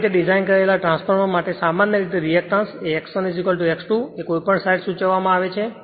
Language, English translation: Gujarati, For a well designed transformers generally reactance is X 1 is equal to X 2 referred to any side right